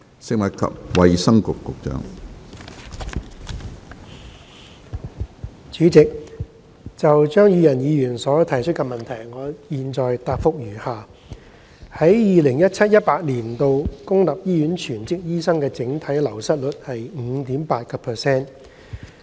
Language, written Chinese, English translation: Cantonese, 主席，就張宇人議員提出的質詢，我現答覆如下：一在 2017-2018 年度，公立醫院全職醫生的整體流失率為 5.8%。, President my reply to the question raised by Mr Tommy CHEUNG is as follows 1 In 2017 - 2018 the overall attrition rate of full - time doctors in public hospitals was 5.8 %